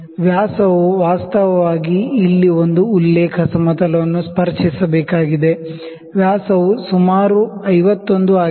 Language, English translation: Kannada, The dia actually it has to touch a reference plane here, the dia is about, the dia is about 51